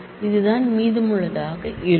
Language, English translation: Tamil, This is what will be remaining